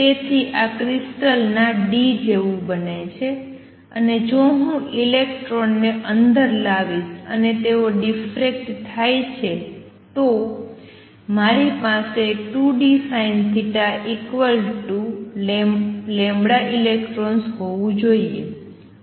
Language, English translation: Gujarati, So, this becomes like the d of the crystal, and if I bring the electrons in and they diffract then I should have 2 d sin theta equals lambda electrons